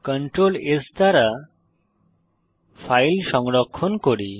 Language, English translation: Bengali, Save the file with Ctrl s